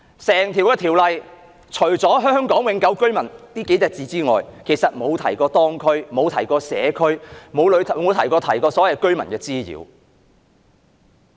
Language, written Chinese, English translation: Cantonese, 整項《條例草案》除了"香港永久性居民"這數個字外，其實沒有提及社區，亦沒有提及對居民的滋擾。, Apart from mentioning Hong Kong permanent residents the Bill has not made any reference to the community or the nuisance caused to residents